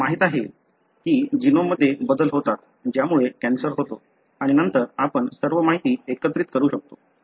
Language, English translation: Marathi, We know that there are the changes in the genome that results in the cancer and then we can integrate all the information